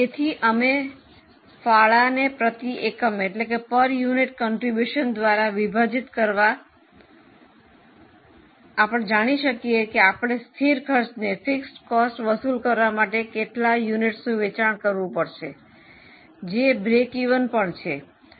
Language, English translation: Gujarati, So, we divide it by contribution per unit so that we know that how many units you need to sell to recover that much of fixed cost which is nothing but a break even